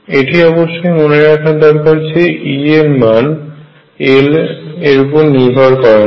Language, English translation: Bengali, Keep in mind that E does not depend on l